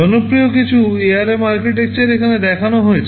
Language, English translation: Bengali, So, some of the popular ARM architectures are shown here